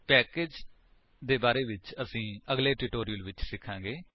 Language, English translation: Punjabi, We will learn about packages in the later tutorials